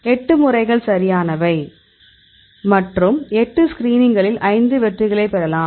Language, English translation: Tamil, So, 8 methods right and 8 screenings you can get the 5 hits